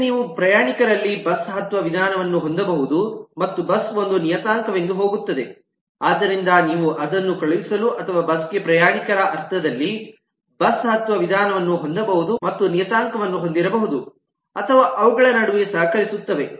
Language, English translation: Kannada, you can have a board method in passenger and let the bus goes as a parameter to that, so that where you send that, or the bus can have a board method with a passenger sense it and goes a parameter, or both could have board methods which collaborate between themselves